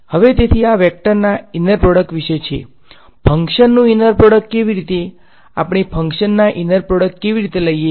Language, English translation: Gujarati, Now so, this is about inner product of vectors, how about inner product of functions, how do we take inner products of functions